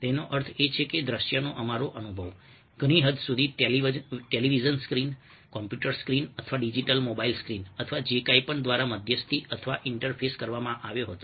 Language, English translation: Gujarati, it means that our experience of the visual, to a very great extent is were mediated or interfaced by either a television screen, computer screen or digital mobile screen or whatever